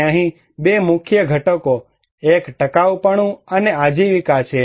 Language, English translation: Gujarati, And two major components here, one is the sustainability, and livelihood